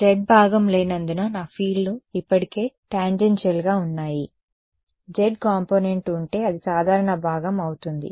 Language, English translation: Telugu, My fields are already tangential because there is no z component; right, if there were a z component that would be a normal component right